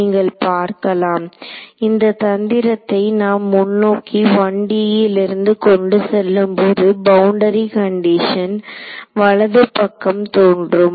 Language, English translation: Tamil, So, you can see that the carrying the trick forward from 1D the boundary condition is going to appear this right hand side term over here